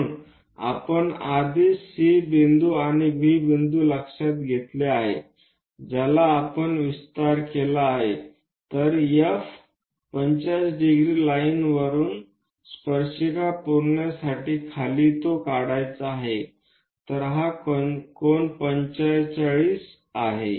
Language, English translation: Marathi, So, already we have noted C point and B point this we have extended, then from F a 45 degree line we have to construct it extend all the way down to meet tangent, so this angle is 45 degrees